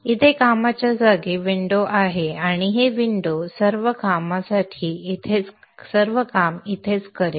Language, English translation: Marathi, This is where the workspace window is and this is where you will probably do all the work